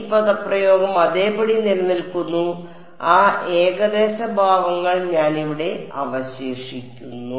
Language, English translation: Malayalam, This expression remains as it is and I am left over here with that approximate expressions